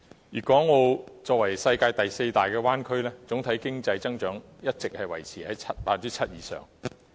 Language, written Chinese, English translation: Cantonese, 粵港澳作為世界第四大灣區，總體經濟增長一直維持在 7% 以上。, Guangdong Hong Kong and Macao together form the worlds fourth largest bay area . Its total economic growth rate has been maintained at over 7 %